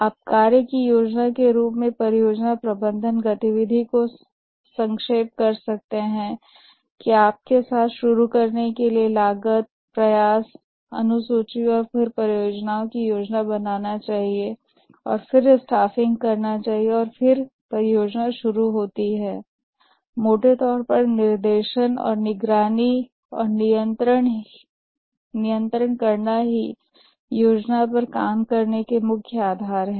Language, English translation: Hindi, You can summarize the project management activity as planning the work, that is to start with, we must plan the cost, the effort, schedule, and then the project, and then do the staffing, and then the project starts, and largely it is directing and and monitoring and controlling and that we call as working the plan